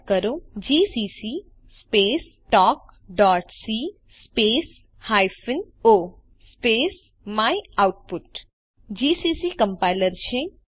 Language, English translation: Gujarati, Type gcc space talk.c space hyphen o space myoutput gcc is the compiler talk.c is our filename